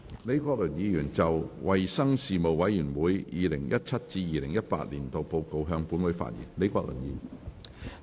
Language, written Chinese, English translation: Cantonese, 李國麟議員就"衞生事務委員會 2017-2018 年度報告"向本會發言。, Prof Joseph LEE will address the Council on the Report of the Panel on Health Services 2017 - 2018